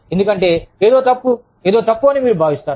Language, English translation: Telugu, Because, you feel, something is wrong, something is wrong